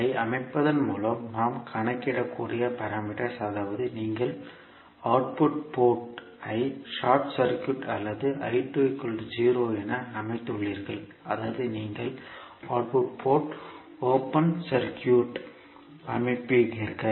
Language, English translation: Tamil, The parameters we can calculate by setting V 2 is equal to 0 that means you set the output port as short circuited or I 2 is equal to 0 that means you set output port open circuit